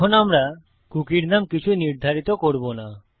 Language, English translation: Bengali, Now we will set the cookie name to nothing